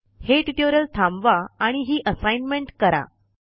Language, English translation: Marathi, Pause this tutorial and try out this Assignment